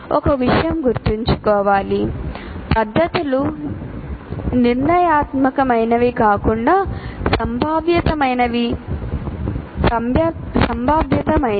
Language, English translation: Telugu, And one thing should be remembered, methods are probabilistic rather than deterministic